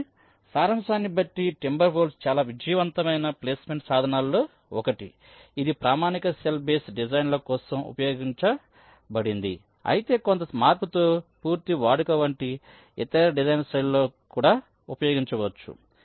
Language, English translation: Telugu, so to summaries, timber wolf was one of the very successful placement tools that was used for standard cell base designs, but this, with some modification, can also be used for the other design styles, like full custom